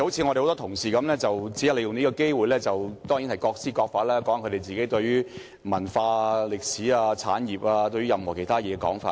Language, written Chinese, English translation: Cantonese, 很多同事只是利用這個機會談談自己對文化、歷史、產業或其他事情的看法。, However many colleagues have simply taken this opportunity to talk about their views on culture history the industry and other matters